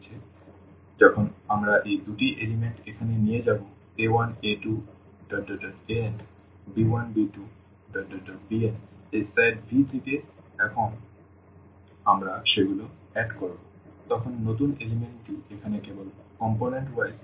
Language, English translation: Bengali, So, when we take these two elements here a 1, a 2, a n and b 1, b 2, b n from this set V and when we add them, so, the new element will be just the component wise addition here